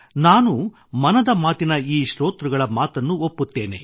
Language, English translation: Kannada, I too agree with this view of these listeners of 'Mann Ki Baat'